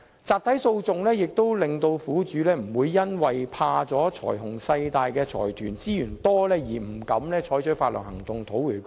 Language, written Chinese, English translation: Cantonese, 集體訴訟也可令苦主不會因為害怕財雄勢大的財團有豐富資源，而不敢採取法律行動討回公道。, With class actions victims need have no fear of the huge financial resources of large consortia and they will not be deterred from seeking justice through litigation